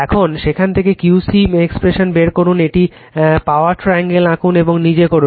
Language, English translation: Bengali, And from there you find out the expression of Q c right you draw a power triangle and you do yourself